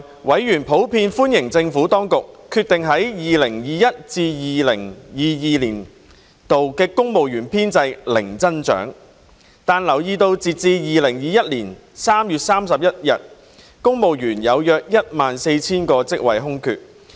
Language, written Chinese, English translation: Cantonese, 委員普遍歡迎政府當局決定於 2021-2022 年度公務員編制零增長，但留意到截至2021年3月31日，約有 14,000 個公務員職位空缺。, While members in general welcomed the Administrations decision to have zero growth in the civil service establishment in 2021 - 2022 they noted that as at 31 March 2021 there were about 14 000 civil service vacancies